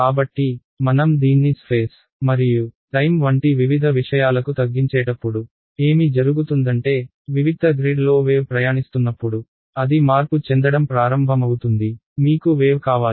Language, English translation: Telugu, So, when I do this chopping up off space and time into discrete things what happens is that, as a wave travels on a discrete grid it begins to disperse; you want the wave